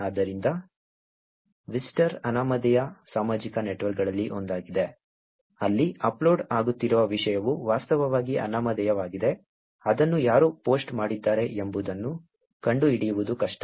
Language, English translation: Kannada, So, Whisper is one of the anonymous social networks where the content that is getting uploaded is actually anonymous, it is hard to find out who has posted it